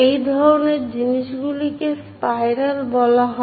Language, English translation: Bengali, These kind ofthings are called spiral